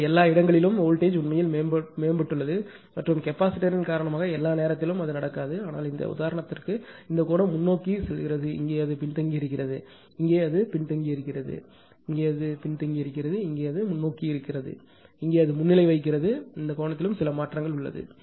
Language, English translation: Tamil, So, everywhere voltage actually has improved and because of the capacitor although not all the time it will happen but for this example, this angle was leading, here it was lagging, here it is leading, here it is lagging, here it was leading, here also it is leading but there is some change in the angle also